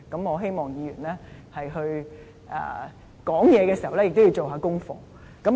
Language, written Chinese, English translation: Cantonese, 我希望議員發言前應做功課。, I hope that before Members speak they would do some homework first